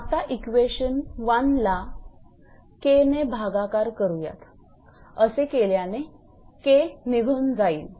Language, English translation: Marathi, Now, divide you equation 1 this equation and this you can divide K and K will be cancelled